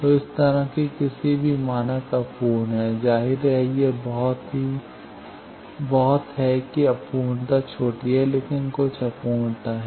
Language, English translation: Hindi, So, any standard like that is imperfect; obviously, it is very that imperfection is small, but there is some imperfection